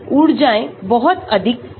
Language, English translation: Hindi, The energies are not very differently high